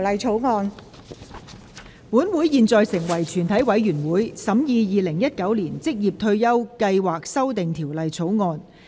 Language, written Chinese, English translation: Cantonese, 本會現在成為全體委員會，審議《2019年職業退休計劃條例草案》。, Council now becomes committee of the whole Council to consider the Occupational Retirement Schemes Amendment Bill 2019